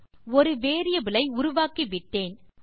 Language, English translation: Tamil, OK, so Ive created a variable